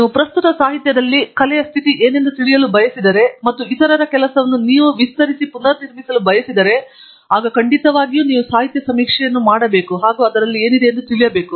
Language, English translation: Kannada, And, if you want to know what is the state of the art in the literature that is currently there and we want to extend and build on the work of others, definitely we need to know what is done till now